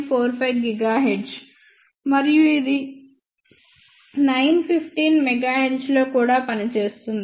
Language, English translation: Telugu, 5 gigahertz and it can also work on 915 megahertz